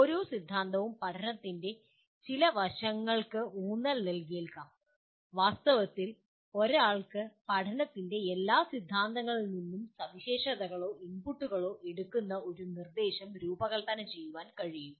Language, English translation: Malayalam, Each theory may emphasize certain aspect of learning and in fact one can design an instruction taking features or inputs from all the theories of learning